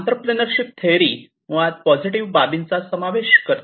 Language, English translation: Marathi, So, the entrepreneurship theory, basically encapsulates the positive aspects